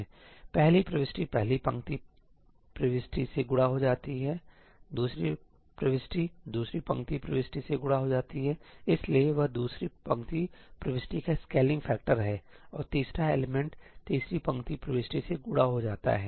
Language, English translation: Hindi, the first entry gets multiplied by the first row entry; the second entry gets multiplied by the second row entry, so, that is the scaling factor of the second row entry; and the third element gets multiplied by the third row entry